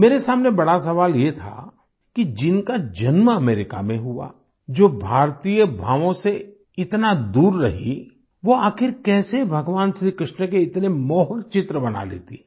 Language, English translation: Hindi, The question before me was that one who was born in America, who had been so far away from the Indian ethos; how could she make such attractive pictures of Bhagwan Shir Krishna